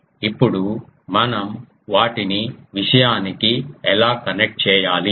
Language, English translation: Telugu, Now, how do we connect them to the thing